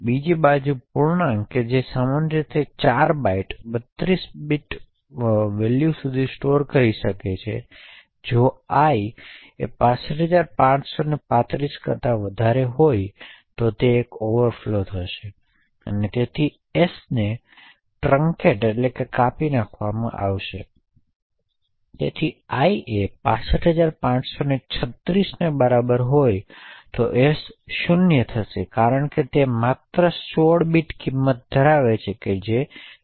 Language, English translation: Gujarati, On the other hand integer which is typically 4 bytes could store up to a 32 bit value thus if i is greater than 65535 there is an overflow that occurs and therefore s gets truncated for example if i is equal to 65536 right then s would become 0 because s holds only 16 bit value and s is of short and therefore s would become 0